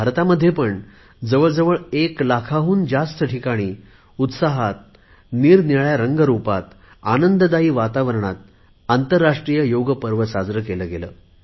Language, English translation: Marathi, In India too, the International Yoga Day was celebrated at over 1 lakh places, with a lot of fervour and enthusiasm in myriad forms and hues, and in an atmosphere of gaiety